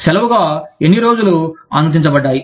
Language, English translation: Telugu, How many days were permitted, as leave